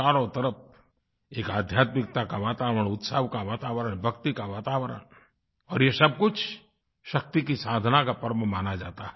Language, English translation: Hindi, All around there is an atmosphere of spirituality, an air of festivities, an atmosphere of bhakti, of reverence